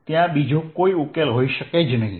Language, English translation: Gujarati, they can be no other solution